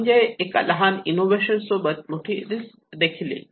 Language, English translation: Marathi, So, a small invention can lead to a bigger risk